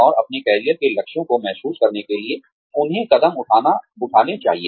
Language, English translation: Hindi, And, the steps, they must take, to realize their career goals